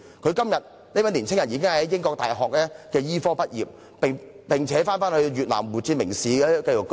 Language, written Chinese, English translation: Cantonese, 今天，這位年青人已在英國大學醫科畢業，並返回越南胡志明市定居。, Today he has already graduated from medical school in the United Kingdom and returned to Vietnam to settle down in Ho Chi Minh City